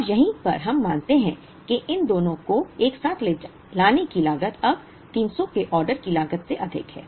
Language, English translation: Hindi, Now, right here we observe that the carrying cost of bringing these two together is now exceeding an order cost of 300